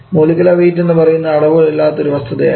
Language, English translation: Malayalam, Molecular weight is not a dimensionless quantity